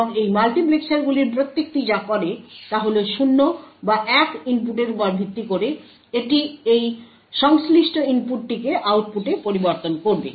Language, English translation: Bengali, And what each of these multiplexers does is that based on the input either 0 or 1, it will switch that corresponding input to the output